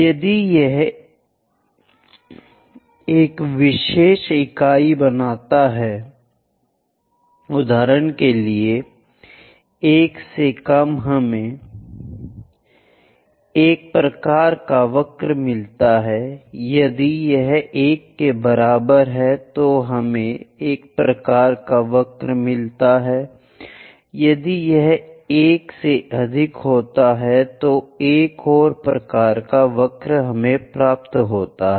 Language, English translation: Hindi, If it makes one particular unit, for example, less than 1 we get one kind of curve, if it is equal to 1, we get one kind of curve, if it is greater than 1 we get another kind of curve